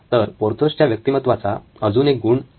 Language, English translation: Marathi, So another quirk of Porthos’s character